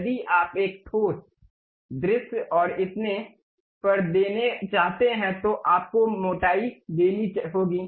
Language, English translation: Hindi, If you want to give a solid visualization and so on, you have to really give the thickness